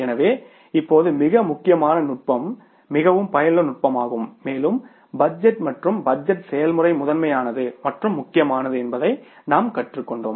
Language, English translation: Tamil, So, now it is very, very important technique, very useful technique and we have learned it that the budgeting and the budgetary process is the first and the foremost